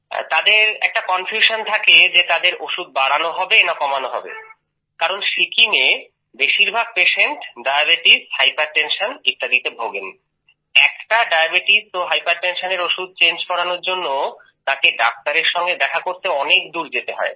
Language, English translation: Bengali, He is confused whether his medicine has to be increased or decreased, because most of the patients in Sikkim are of diabetes and hypertension and how far he will have to go to find a doctor to change the medicine for diabetes and hypertension